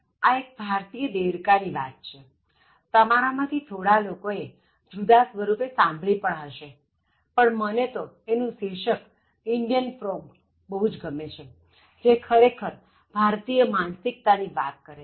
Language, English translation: Gujarati, So, this is about the Indian frog: Some of you might have heard this in different versions like Indian crabs and all that, but I like the title Indian frog, which actually talks about the Indian mindset